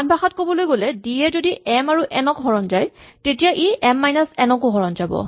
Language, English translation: Assamese, In other words, if d divides both m and n, it also divides m minus n